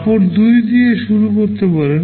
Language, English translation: Bengali, W can start with cloth 2